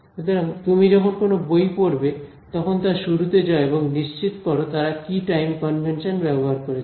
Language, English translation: Bengali, So, you should whatever book you pick up make sure you go right to the beginning and see what is the time convention they have used